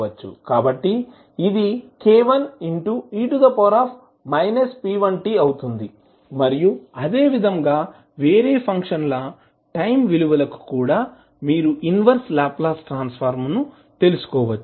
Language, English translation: Telugu, So, this will become k1 into e to the power minus p1t and similarly, for other times also you can find out the inverse Laplace transform